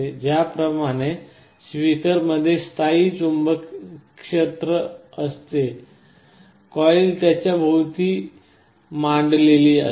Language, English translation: Marathi, Just like a speaker there is a permanent magnet there will be magnetic field in which the coil is sitting